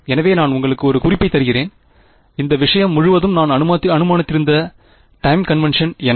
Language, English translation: Tamil, So, let me give you a hint, what is the time convention I have assumed throughout this thing